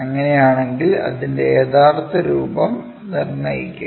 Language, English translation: Malayalam, If that is the case, determine its true shape